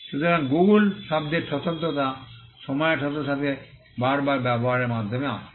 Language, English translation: Bengali, So, the distinctiveness of the word Google came by repeated usage over a period of time